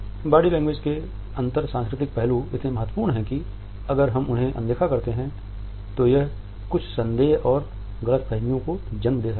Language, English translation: Hindi, The inter cultural aspects of body language are so important that if we ignore them it can lead to certain misgivings and misunderstandings